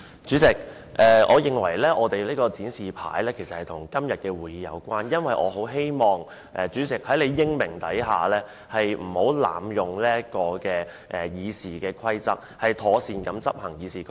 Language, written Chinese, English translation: Cantonese, 主席，我認為我們的展示品與今天的會議有關，因為我很希望主席能英明領導，不要濫用《議事規則》，以及要妥善執行《議事規則》。, President I maintain that our display boards are related to todays meeting because I hope the President can chair the meeting wisely and properly enforce not abuse the Rules of Procedure